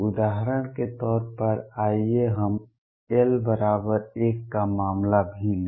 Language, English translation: Hindi, As an illustration let us also take a case of l equals 1